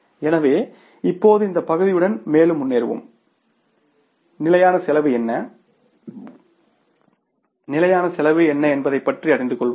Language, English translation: Tamil, So now we will proceed further with this part and we will learn about that what is the standard cost and what is the standard costing